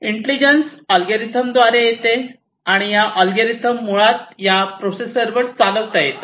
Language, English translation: Marathi, So, intelligence come through algorithms, right and these algorithms can basically be executed at this processor